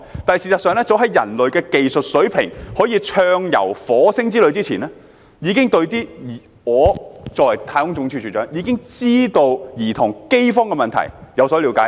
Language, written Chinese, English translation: Cantonese, '但事實上，早在人類的技術水平可以展開火星之旅之前，我作為太空總署署長，已經對兒童飢荒的問題有所了解。, In fact as a director at NASA I have known of famined children long before I knew that a voyage to the planet Mars is technically feasible